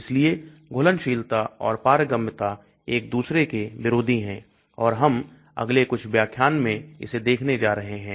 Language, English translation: Hindi, So solubility and permeability are sort of opposing each other and we are going to see that in the next few lectures